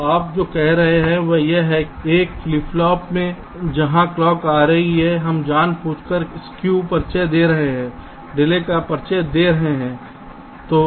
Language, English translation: Hindi, so what you are saying is that in one of the flip flop where the clock is coming, we are deliberately introducing a skew, introducing a delay